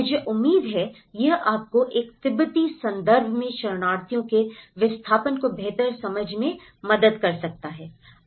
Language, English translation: Hindi, I hope this helps you a better understanding of the displacement of refugees in a Tibetan context